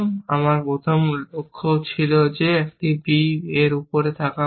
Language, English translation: Bengali, My first goal was that a should be on b